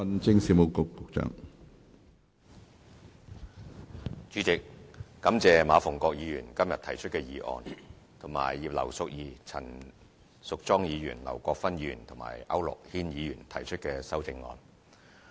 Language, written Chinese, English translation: Cantonese, 主席，感謝馬逢國議員今天提出的議案及葉劉淑儀議員、陳淑莊議員、劉國勳議員和區諾軒議員提出的修正案。, President I would like to thank Mr MA Fung - kwok for moving the motion today in addition to Mrs Regina IP Ms Tanya CHAN Mr LAU Kwok - fan and Mr AU Nok - hin for putting forth their amendments